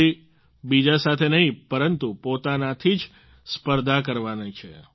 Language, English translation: Gujarati, You have to compete with yourself, not with anyone else